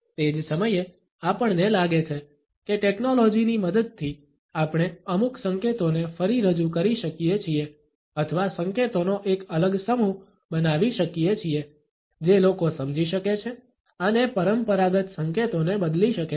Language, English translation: Gujarati, At the same time, we find that with a help of technology, we can re introduce certain cues or generate a different set of cues, which can be understood by people and can replace the conventional set of cues